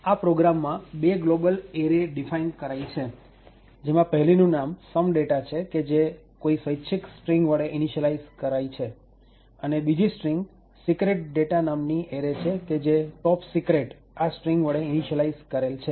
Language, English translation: Gujarati, this particular program defines two global arrays, one is known as some data which is initialised to some arbitrary string and other array which is secret data which is initialised to topsecret